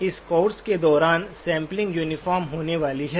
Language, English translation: Hindi, Throughout this course, the sampling is going to be uniform